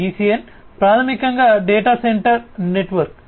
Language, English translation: Telugu, DCN is basically data center network